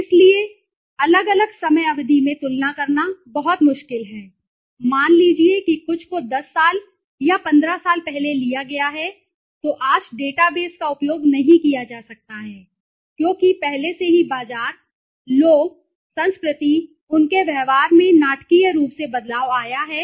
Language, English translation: Hindi, So and it is very difficult to compare also at different time periods, suppose something has been taken 10 years back or 15 years back, that data base cannot be used today, because already the market, people, culture, their behavior has changed dramatically okay